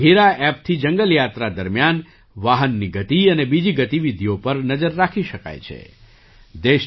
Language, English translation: Gujarati, With the Bagheera App, the speed of the vehicle and other activities can be monitored during a jungle safari